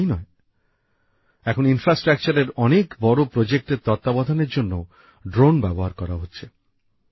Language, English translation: Bengali, Not just that, drones are also being used to monitor many big infrastructure projects